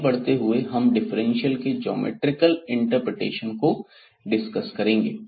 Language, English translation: Hindi, Well so, moving next to the geometrical interpretation of differentials